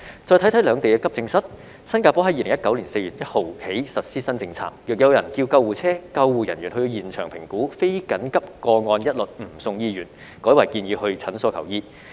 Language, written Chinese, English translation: Cantonese, 再看看兩地的急症室，新加坡在2019年4月 l 日起實施新政策，若有人叫救護車，救護人員到現場評估後，非緊急個案一律不送醫院，改為建議到診所求醫。, Singapore has implemented a new policy since 1 April 2019 . If someone calls an ambulance the ambulance personnel will conduct an assessment on site . Non - urgent patients will not be sent to hospitals